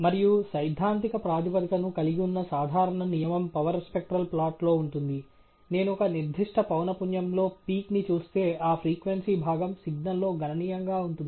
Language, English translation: Telugu, And the simple rule of thumb, which has a theoretical basis to it, is in a power spectral plot if I see a peak at a certain frequency then that frequency component is significantly present in the signal